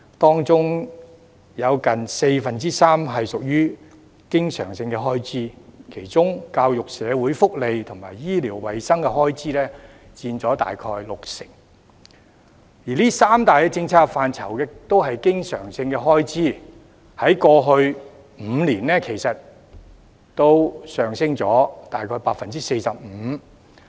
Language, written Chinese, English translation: Cantonese, 當中有近四分之三屬於經常性開支，其中教育、社會福利及醫療衞生的開支佔大約六成，而這三大政策範疇的開支都是經常性開支，在過去5年，上升了約 45%。, About three quarters of it is recurrent expenditure of which about 60 % goes to education social welfare and health . All being recurrent the expenditure for these three policy areas has increased by about 45 % over the past five years